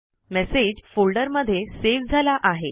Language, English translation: Marathi, The message is saved in the folder